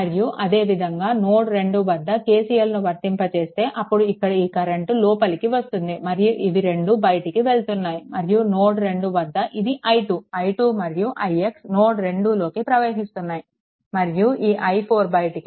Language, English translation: Telugu, And similarly at node 2 if you apply KCL, then your because this current is incoming and these 2 are outgoing at and at node 2 your i 2; i 2 and i x entering into the node 2 and this i 4 is leaving